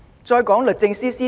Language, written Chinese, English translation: Cantonese, 再說律政司司長。, Next the Secretary for Justice